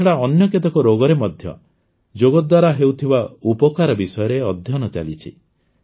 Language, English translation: Odia, Apart from these, studies are being done regarding the benefits of yoga in many other diseases as well